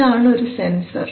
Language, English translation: Malayalam, So this is a sensor